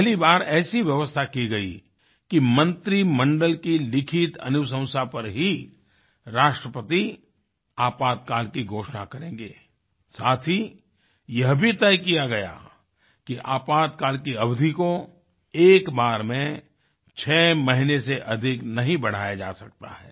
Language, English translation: Hindi, For the first time constitutional safeguards guaranteed that the President could only announce the emergency upon the written recommendation of the Cabinet, and that the period of emergency could not be extended more than six months at any stretch of time